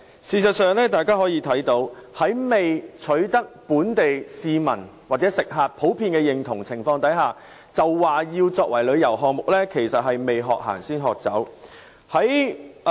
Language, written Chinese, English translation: Cantonese, 事實上，政府在未取得本地市民或食客的普遍認同下，便說要把計劃作為旅遊項目，就是"未學行，先學走"。, In fact the Government is trying to run before it can walk in positioning the Scheme as a tourism project before it has been generally accepted by local residents or customers . The Secretary mentioned many limitations in the main reply eg